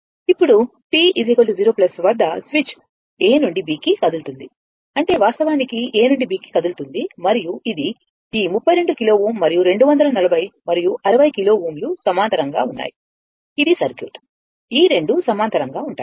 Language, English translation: Telugu, Now, at t 0 plus switch moves from A to B, that is your the switch actually moving from A to B and this is the circuit this 32 kilo ohm and 240 and 60 kilo ohm are in parallel right this 2 are in parallel